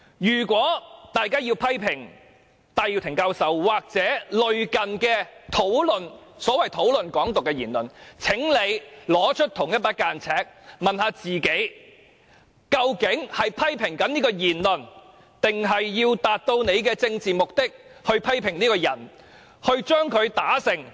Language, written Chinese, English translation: Cantonese, 如果大家要批評戴耀廷教授或所謂討論"港獨"的言論，請拿出同一把尺，問一問自己究竟是在批評這種言論，還是為了達到自己的政治目的而批評這個人，要令他萬劫不復、永不超生？, If Members mean to criticize Prof Benny TAI or the remarks discussing Hong Kong independence so to speak please take out the same yardstick and ask themselves whether they are actually criticizing these remarks or trying to achieve their own political aims thus criticizing this person such that he will be doomed forever and can never make a comeback?